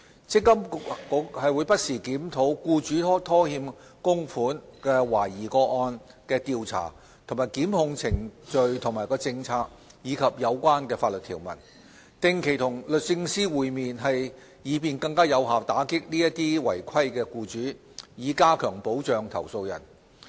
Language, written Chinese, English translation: Cantonese, 積金局會不時檢討僱主拖欠供款懷疑個案的調查及檢控政策和程序，以及有關法律條文，並定期與律政司會面，以便更有效打擊違規的僱主，以加強保障投訴人。, MPFA will from time to time review the policy and procedures regarding the investigation and prosecution of suspected cases of employers defaulting on contributions as well as related legislative provisions . MPFA also meets with the Department of Justice on a regular basis regarding the above in order to tackle non - compliant employers more effectively and provide better protection to complainants